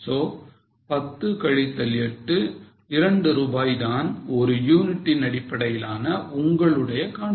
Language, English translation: Tamil, So, 10 minus 8, 2 rupees per unit basis is your contribution